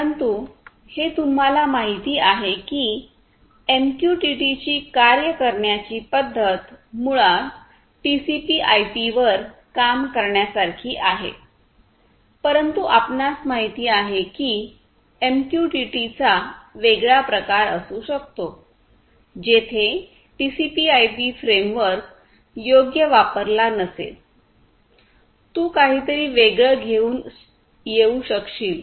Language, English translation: Marathi, So, Publish/Subscribe, but this you know the way MQTT works is basically to work on top of TCP/IP, but you know you could have a different variant of MQTT, where TCP/IP framework may not be used right; you could come up with something else